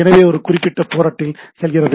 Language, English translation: Tamil, So, it goes on that particular port and goes on that port